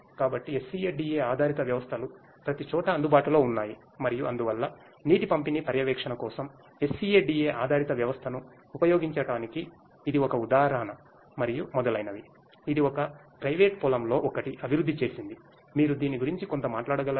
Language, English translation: Telugu, So, SCADA based systems are available everywhere and you know so this is an example of the use of SCADA based system in for water distribution monitoring and so on and so, this has been developed by one of the private farms what it can you speak little bit about